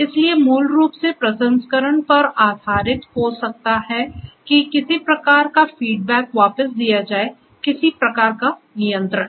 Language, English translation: Hindi, So, basically based on the processing may be some kind of a feedback will have to be given back, some kind of a control right